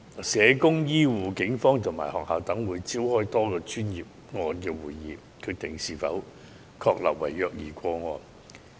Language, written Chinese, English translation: Cantonese, 社工、醫護、警方和學校等會召開多個專業個案會議，決定是否確立為虐兒個案。, Social workers health care workers the Police and schools will convene a multi - disciplinary meeting to determine if the case is a confirmed child abuse case